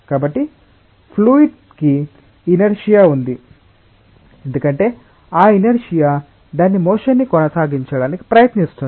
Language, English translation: Telugu, So, the fluid has an inertia, because of that inertia it tries to maintain its motion